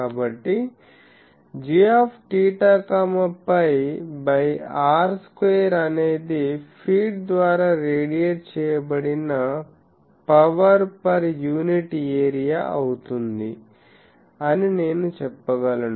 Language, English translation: Telugu, So, can I say that g theta phi by r square is the power per unit area radiated by the feed